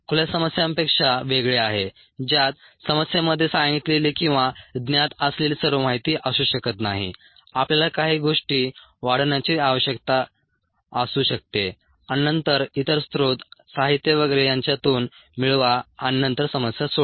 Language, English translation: Marathi, this is distinct from open ended problems that may not have, ah, all the information that is required, state it in the problem or known, might need to extend a few things and then get information from other sources literature and so on and then solve the problem